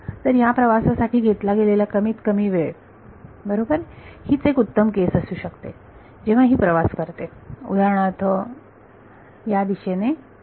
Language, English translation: Marathi, So, the minimum tau minimum time taken to travel right the best case can happen when the wave is travelling for example, in this direction like this